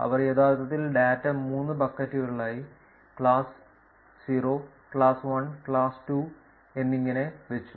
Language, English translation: Malayalam, They actually put the data into 3 buckets, class 0, class 1 and class 2